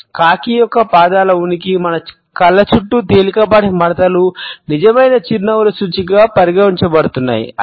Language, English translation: Telugu, For several decades we find that the presence of the crow’s feet, the mild wrinkles around our eyes what considered to be an indication of genuine smiles